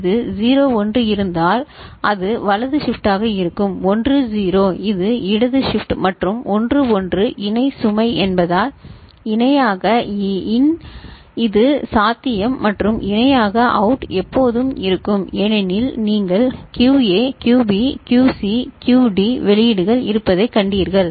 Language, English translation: Tamil, If there is a 01 it will be right shift, 10 this is left shift and 11 parallel load because parallel in that is possible and parallel out is always there because you have seen QA, QB, QC, QD outputs are there